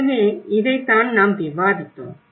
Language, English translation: Tamil, So, this is all have been discussed